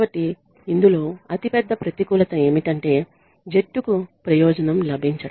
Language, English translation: Telugu, So, the biggest disadvantage in this is that the team gets benefited